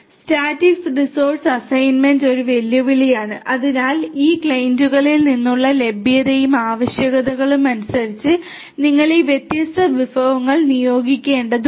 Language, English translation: Malayalam, Static resource assignment is a challenge so dynamically you have to assign these different resources as per the availability and the requirements that are coming from these clients